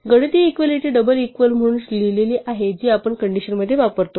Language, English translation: Marathi, The mathematical equality is written as double equal too this is what we use in our conditions